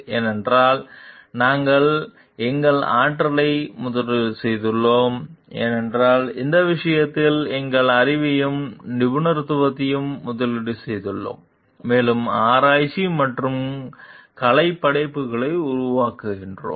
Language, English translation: Tamil, Because, we have invested our energy because, we have invested our knowledge and expertise on the subject and the in creation of the research and artistic work